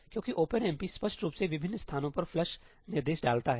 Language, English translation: Hindi, Because OpenMP implicitly puts flush instructions at various places